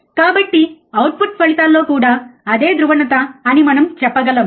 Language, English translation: Telugu, So, we can also say in the output results in the same polarity right